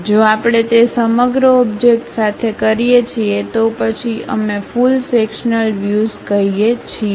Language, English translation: Gujarati, If we do that with the entire object, then we call full sectional view